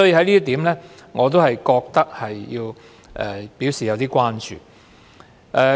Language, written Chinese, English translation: Cantonese, 所以，我覺得要就這一點表示關注。, I thus think I need to express concern over this point